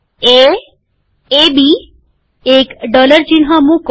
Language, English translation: Gujarati, A, AB, put a dollar sign